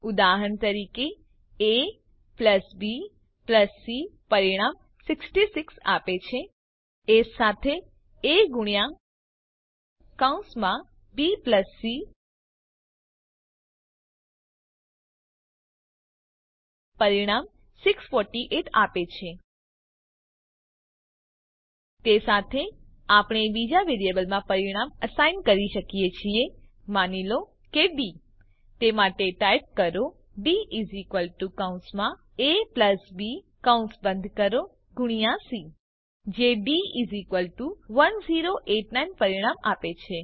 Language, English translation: Gujarati, For example, a+b+c gives the result 66 also a times into bracket b plus c gives the result 648 We can also assign the answer to another variable say d by typing d = bracket a+b close the bracket multiplied by c gives the answer d = 1089